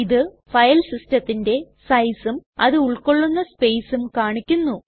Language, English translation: Malayalam, Here it shows the size of the File system, and the space is used